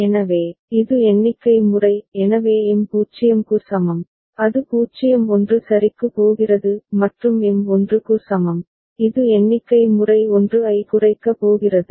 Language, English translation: Tamil, So, it is up count mode; so M is equal to 0 it was going to 0 1 ok; and M is equal to 1 it was going to down count mode 1 1